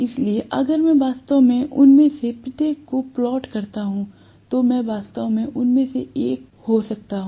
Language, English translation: Hindi, So, if I actually plot each of them I may have actually one of them